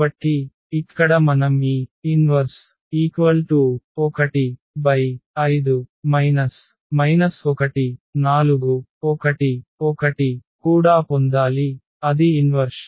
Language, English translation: Telugu, So, here we have to get this P inverse also, that is the inverse